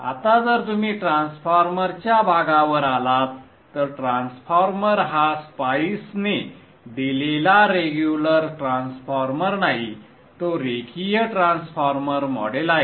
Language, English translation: Marathi, Now if you come to the transformer portion the transformer is not the regular transformer provided by spice that is a linear transformer portion